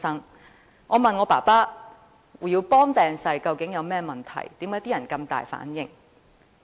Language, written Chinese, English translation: Cantonese, 於是，我問父親胡耀邦病逝有何問題，為何大家會如此大反應的呢？, I then asked my father what was so important about the death of HU Yaobang and why the people would become so emotional